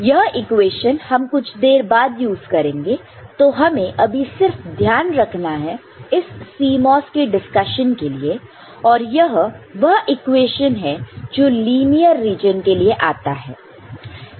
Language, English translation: Hindi, And this equation we shall use later, keep note take note of this in CMOS discussion and this is the equation when it occurs for linear region